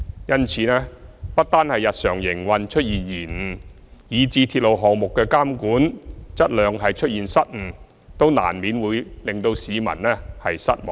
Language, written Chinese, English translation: Cantonese, 因此，港鐵公司由日常營運出現延誤以至鐵路項目質量監管出現失誤，都難免會令市民失望。, Therefore from the service disruptions in its daily operation to the blunders in its quality control of the railway projects all these have inevitably caused public disappointment at MTRCL